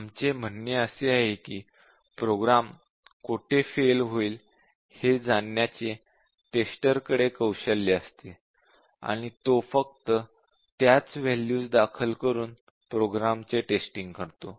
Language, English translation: Marathi, We say that a tester has a knack for knowing where the program will fail and enters only those values